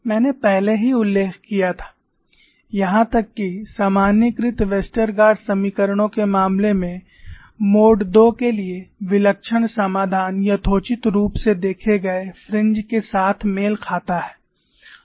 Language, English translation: Hindi, I had already mentioned, even in the case of generalized Westergaard equations, the singular solution for mode 2 reasonably matches with experimentally observed fringes